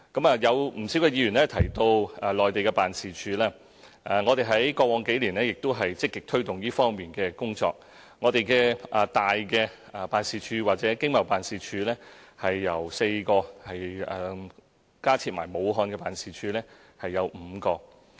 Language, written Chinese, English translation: Cantonese, 不少議員提及駐內地的辦事處，我們在過往數年也積極推動這方面的工作，一些大的辦事處或經貿辦事處有4個，在加設駐武漢辦事處後即有5個。, A number of Members have mentioned our Mainland offices . Over the past few years we have proactively taken forward the work in this regard . There are four major offices or Hong Kong Economic and Trade Offices ETOs